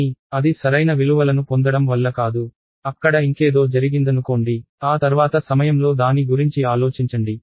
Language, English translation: Telugu, But, it is not because that it got the correct values in place, something else happened there will sit down and reason about that at a later point of time